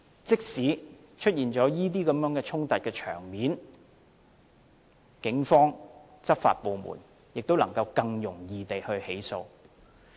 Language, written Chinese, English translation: Cantonese, 即使出現這些衝突場面，警方和執法部門也能更容易作出起訴。, Even when conflicts occur the Police and law enforcement agencies can initiate prosecution more easily